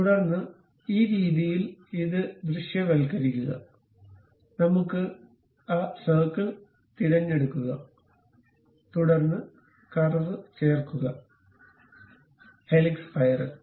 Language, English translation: Malayalam, Then, visualize it in this way, we have the, pick that circle, then go to insert curve, helix spiral